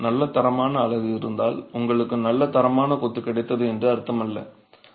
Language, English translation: Tamil, If you have good quality unit, it doesn't mean that you've got good quality masonry